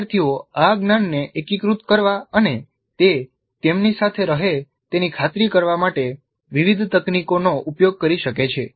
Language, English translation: Gujarati, Learners can use a variety of techniques to integrate this knowledge and to ensure that it stays with them